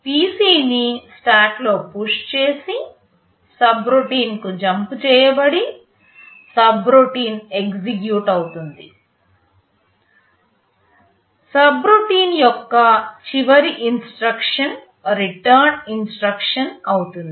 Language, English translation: Telugu, The PC is pushed in the stack, you jump to the subroutine, subroutine gets executed, the last instruction of the subroutine will be a return instruction